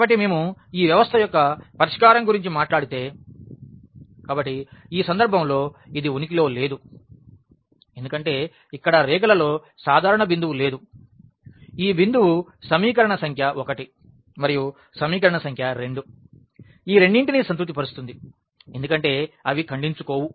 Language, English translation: Telugu, So, if we talk about the solution of this system; so, it does not exist in this case because there is no common point on the lines where, we can we can say that this point will satisfy both the equations equation number 1 and equation number 2 because they do not intersect